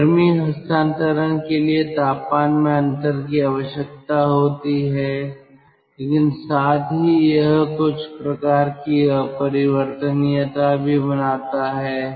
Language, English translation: Hindi, so temperature difference is needed for heat transfer, but at the same time it also creates some sort of irreversibility